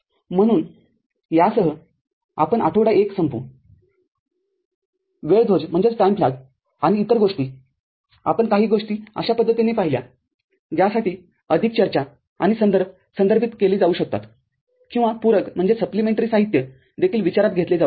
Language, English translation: Marathi, So, with this we end the week 1, the first module because of the time flag and other things certain things we have touched in a manner for which greater discussion and the references can be referred to or supplementary materials can be also considered